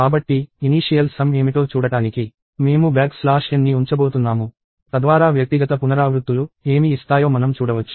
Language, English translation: Telugu, So, to just see what the initial sums are, I am going to put a back slash n, so that we can see what the individual iterations give